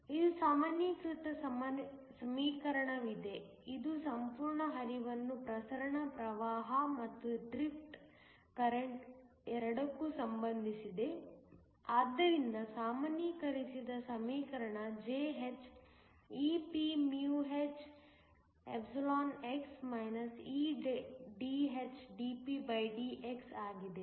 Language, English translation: Kannada, There is a generalized equation, which relates the whole flux to both diffusion current and drift current, so that generalized equation Jh is ephx eDhdpdx